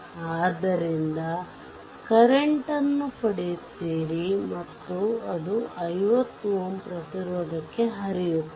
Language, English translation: Kannada, So, you will get the current and that is the current flowing to 50 ohm resistance